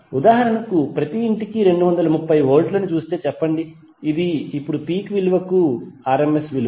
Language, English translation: Telugu, Say for example if you see to 230 volts which is coming to every household this is rms value now to the peak value